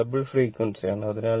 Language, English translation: Malayalam, It is a double frequency